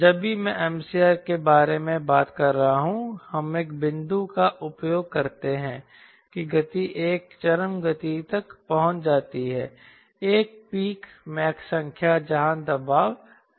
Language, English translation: Hindi, whenever i am talking about m critical we use a point that the speed accelerates to a peak speed, a peak mach number where the pressure is minimum